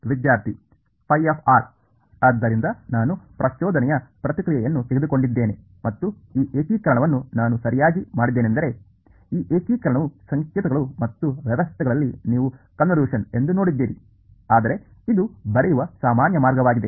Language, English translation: Kannada, So, you notice I took the impulse response and I did this integration right this integration is actually what you have seen in signals and systems to be convolution ok, but this is the more general way of writing it